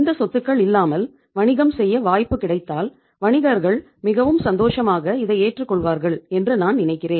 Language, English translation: Tamil, If given a chance to do the business without these assets I think they will be or the businesses will be the happiest lot right